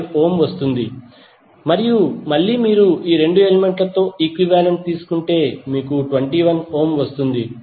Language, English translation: Telugu, 5 ohm and again if you take the equivalent of these 2 elements, you will get 21 ohm